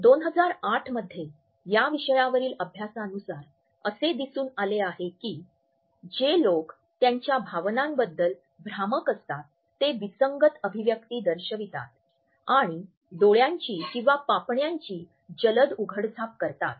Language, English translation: Marathi, In 2008 study on the topic showed that people who are being deceptive about their emotions display inconsistent expressions and blink more often than those telling